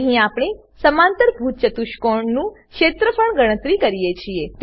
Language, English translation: Gujarati, Here we calculate the area of parallelogram